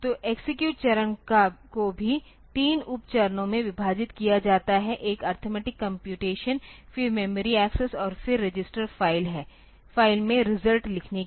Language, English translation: Hindi, So, execute stage is also split into three sub stages one for performing arithmetic computation, then memory access and then write result back to register file